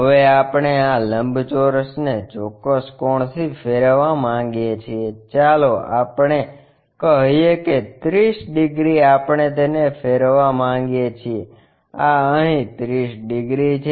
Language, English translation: Gujarati, Now, we would like to rotate this rectangle by certain angle, maybe let us say 30 degrees we would like to rotate it, this one 30 degrees